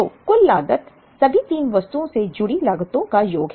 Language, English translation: Hindi, So, total cost is the sum of the costs associated with all the 3 items